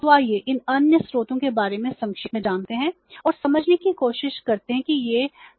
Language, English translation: Hindi, So, let us know about these other sources in a summarized form and try to understand what these sources are